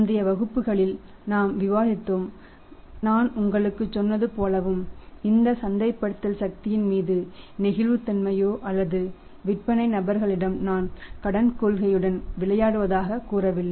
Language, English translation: Tamil, And we have discussed in the previous classes that as I told you and emphasized up on that this should be no flexibility upon the marketing force or up on the sales force to say I play with the credit policy